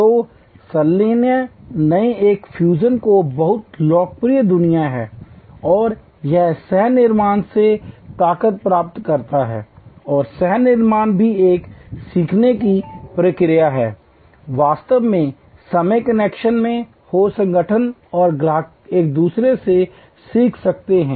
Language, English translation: Hindi, So, fusion is a new very popular world and it derives lot of strength from co creation and co creation is also a learning process, be in real time connection, organizations and customers can learn from each other